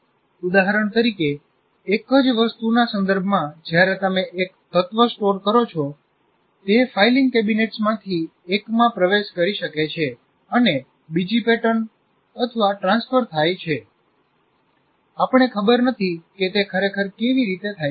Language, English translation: Gujarati, For example, with respect to the same thing, when you store one element may get into one of the filing cabinets and another what do you call pattern may go into the transfer